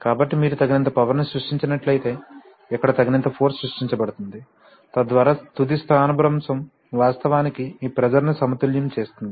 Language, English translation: Telugu, So but if you have created enough power then just enough force will be created here, so that the final displacement will actually balance this pressure